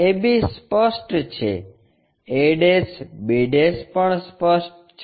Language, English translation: Gujarati, AB is apparent a' b' is also apparent